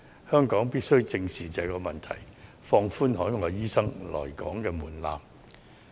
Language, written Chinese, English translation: Cantonese, 我們必須正視這個問題，放寬海外醫生來港工作的門檻。, We have to face this issue squarely and lower the threshold for overseas doctors to practise in Hong Kong